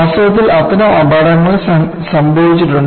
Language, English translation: Malayalam, In fact, such accidents have happened